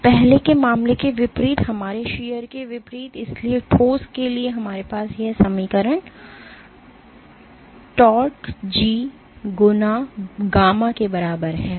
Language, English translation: Hindi, So, in contrast to the earlier case, in contrast to our shear so, for the solid, we had this equation tau is equal to G times gamma